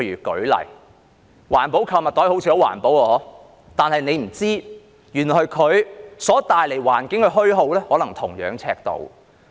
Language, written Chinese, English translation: Cantonese, 舉例說，環保購物袋好像很環保，但大家不知道的是，原來它所帶來的環境的虛耗可能是同樣尺度。, For example while green shopping bags seem to be very eco - friendly people do not know that they may probably strain the environment to a similar degree